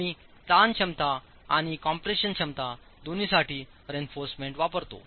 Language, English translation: Marathi, We use the reinforcement for both tension capacity and compression capacity